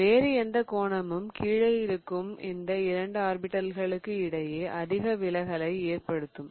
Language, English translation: Tamil, Any other angle is going to create repulsion between two of the low observed orbitals